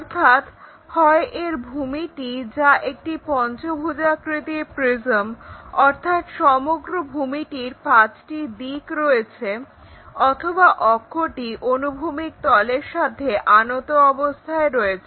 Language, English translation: Bengali, So, either the base is a pentagonal prism that means, 5 sides is entire base or axis, whatever might be that is inclined to horizontal plane